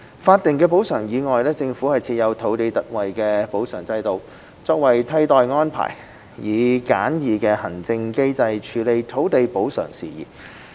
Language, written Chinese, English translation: Cantonese, 法定補償以外，政府設有土地特惠補償制度，作為替代安排，以簡易的行政機制處理土地補償事宜。, Statutory compensation aside the Government has also put in place an ex - gratia compensation system as an alternative arrangement and a simplified administrative mechanism for handling land compensation matters